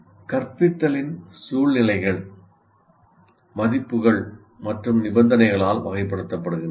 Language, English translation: Tamil, And if you take instructional situations, they are characterized by values and conditions